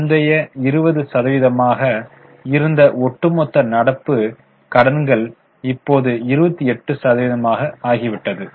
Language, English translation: Tamil, So, overall total current liabilities which were earlier 20% have now become 28%